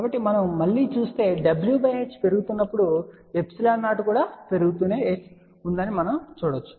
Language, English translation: Telugu, So, we can see again as w by h increases we can see that the epsilon 0 keeps on increasing